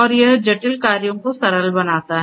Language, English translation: Hindi, And it makes the complex tasks into simpler tasks